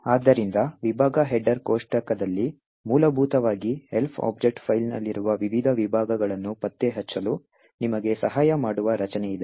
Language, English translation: Kannada, So, in the section header table, essentially there is a structure which would help you locate the various sections present in the Elf object file